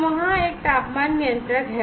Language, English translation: Hindi, So, there is a temperature controller